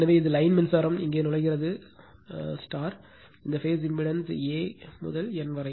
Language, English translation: Tamil, So, it is line current same current here is entering into this phase impedance A to N